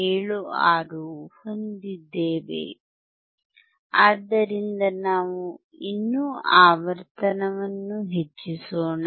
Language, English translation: Kannada, 76V so, let us still increase the frequency